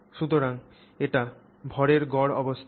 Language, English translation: Bengali, It will be the mean position of the mass